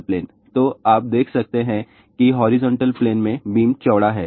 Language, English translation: Hindi, So, you can see that the beam is wide in the horizontal plane